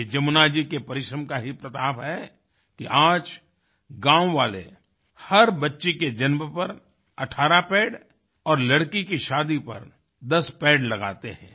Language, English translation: Hindi, It is a tribute to Jamunaji's diligence that today, on the birth of every child,villagersplant 18 trees